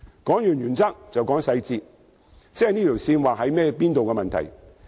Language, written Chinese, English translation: Cantonese, 談完原則，便談細節，即界線的定位問題。, After talking about the principles let us talk about the specifics and that is how the limit should be set